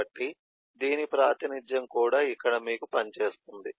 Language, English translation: Telugu, so the same representation will also work for the here